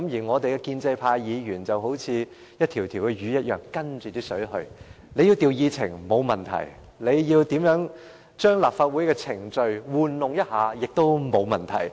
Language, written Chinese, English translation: Cantonese, 我們的建制派議員好比一條魚，隨水而游：政府要調動議程，沒問題；政府要玩弄立法會的程序，也沒有問題。, Pro - establishment Members are just like fish; where water flows they follow . The Government wants to rearrange the order of agenda items no problem; the Government wants to manipulate the procedures of the Legislative Council no problem